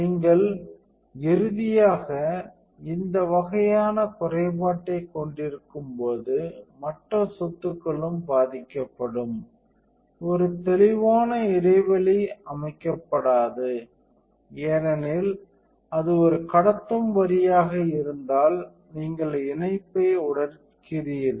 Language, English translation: Tamil, The other properties are also affected when you have this kind of defect finally, a clear break is not at allowed because you are if it is a conducting lines and you are just breaking the connection